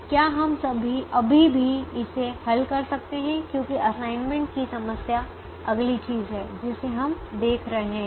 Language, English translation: Hindi, can we still solve it as an assignment problem is the next thing that we will be looking at